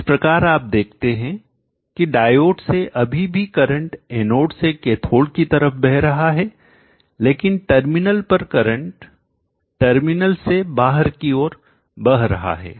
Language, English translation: Hindi, Therefore, you see that through the diode the current distance lowing from the anode to the cathode but at the terminal the current is flowing out of the terminal